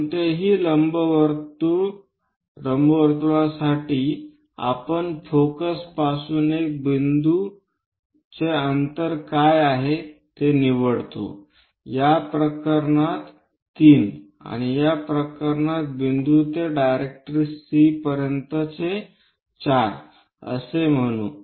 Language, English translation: Marathi, For any ellipse you pick a point from focus what is the distance, let us call that in this case 3 and from point to directrix C that is 4 in this case